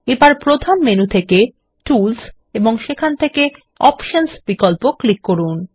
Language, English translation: Bengali, We will click on Tools in the main menu and Options sub option